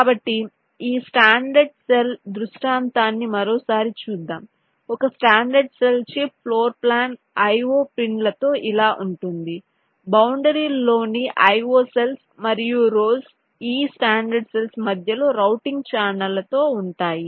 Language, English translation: Telugu, a standard cell chip floorplan would look like this with the io pins, the io cells on the boundaries and the rows will be this: standard cells with routing channels in between